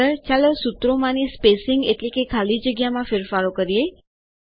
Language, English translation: Gujarati, Next, let us make changes to the spacing of the formulae